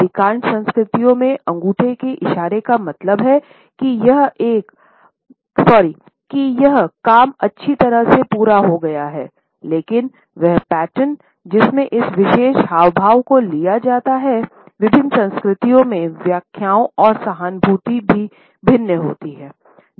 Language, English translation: Hindi, Thumbs of gesture in most of the cultures means; that the job has been completed nicely; however, the pattern in which this particular gesture is taken up and the interpretations and emphases are also different in different cultures